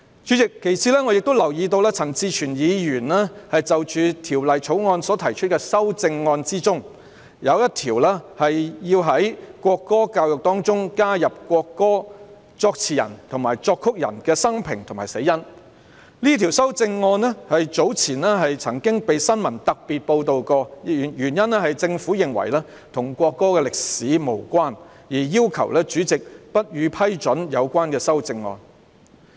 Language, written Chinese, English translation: Cantonese, 此外，主席，我留意到陳志全議員就《條例草案》所提出的修正案，其中一項是要在國歌教育中加入國歌作詞人和作曲人的生平及死因，這項修正案早前曾在新聞中獲特別報道，原因是政府認為這與國歌的歷史無關，要求主席不批准有關修正案。, One of them seeks to include the biography and cause of death of the lyricist and the composer of the national anthem in the education on the national anthem . Previously this amendment has been particularly covered by the news . The reason is that the Government considered the amendment irrelevant to the history of the national anthem and hence requested the Chairman to rule it inadmissible